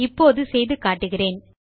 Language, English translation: Tamil, Let me demonstrate this now